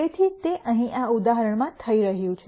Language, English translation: Gujarati, So, that is what is happening here in this example